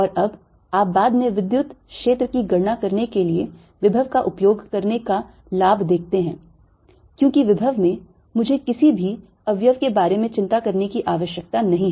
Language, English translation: Hindi, and now you see the advantage of using potential to calculate electric field later, because in the potential i don't have to worry about any components